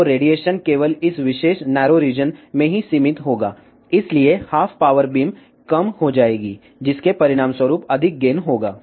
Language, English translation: Hindi, So, radiation will be confined only in this particular narrow region, so half power beam will decreases, which results in higher gain